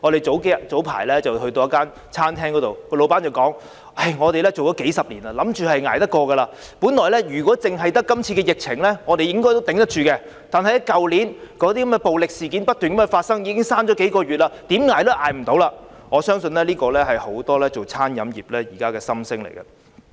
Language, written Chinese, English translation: Cantonese, 早前我們到一間餐廳，老闆說他們已經營數十年，以為可以捱得過去，他說如果只是今次的疫情，他們應該可以支撐得到，但去年那些暴力事件不斷發生，令他們關門數個月，所以現在怎樣也捱不下去了，我相信這是現時很多經營餐飲業人士的心聲。, The owner said that their restaurant had been operated for several decades and they first thought that they could ride out the storm . He said that had they been hit only by this epidemic they should have been able to get through it . But those violent incidents that occurred continuously last year had made them shut down for several months and so there is no way for them to make it now